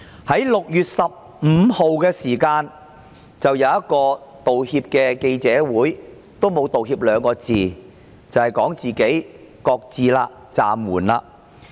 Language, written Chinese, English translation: Cantonese, 她在6月15日召開了一場記者會，但沒有道歉，只說"擱置"、"暫緩"修例。, On 15 June she held a press conference but made no apology; instead she merely said that the legislative amendment was shelved and suspended